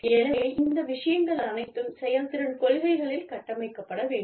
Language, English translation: Tamil, So, all of these things should be built, into the performance policies